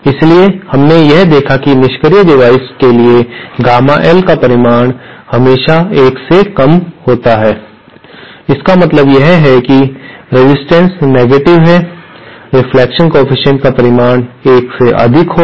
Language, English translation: Hindi, So, we saw this for passive devices Gamma L is always has a magnitude less than 1 that means the resistance is negative, the magnitude of the reflection coefficient will be greater than 1